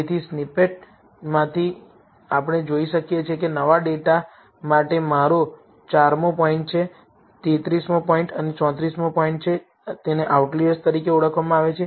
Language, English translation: Gujarati, So, from the snippet, we can see that for the new data, I have my 4th point, 33rd point and 34th point being, are being identified as outliers